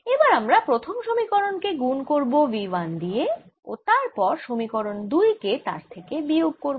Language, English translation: Bengali, let us multiply equation one by v one and subtract equation two